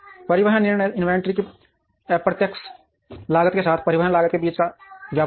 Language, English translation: Hindi, Transportation decisions are the tradeoff between cost of transportation with the indirect cost of inventory